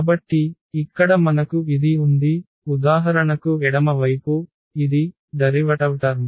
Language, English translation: Telugu, So, here we have this; the left hand side for example, this is the derivative term